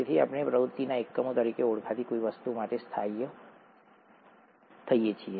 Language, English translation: Gujarati, So we settle for something called units of activity